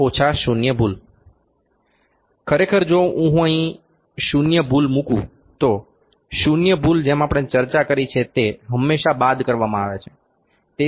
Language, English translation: Gujarati, Actually if I put here zero error, zero error as we have discussed it is always subtracted